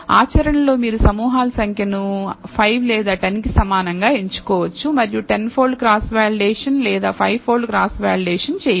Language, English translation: Telugu, In practice you can choose the number of groups equal to either 5 or 10 and do a 10 fold cross validation or 5 fold cross validation